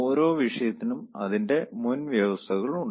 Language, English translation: Malayalam, so this subject has also its prerequisites